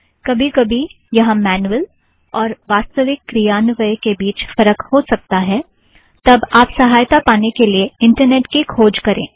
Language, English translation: Hindi, Sometimes there could be discrepancies between the manual and actual implementation, if so, do a web search and find answers